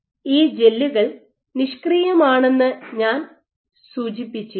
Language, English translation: Malayalam, Now as I mentioned briefly that these gels are inert